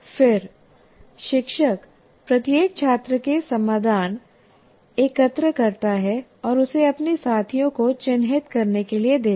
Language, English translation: Hindi, Then the teacher collects the solution from each student and gives these out for peers to mark